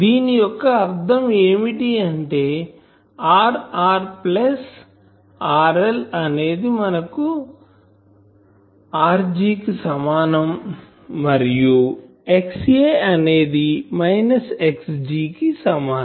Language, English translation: Telugu, So that means, the condition for that is R r plus R L should be equal to R g and X A should be equal to minus X g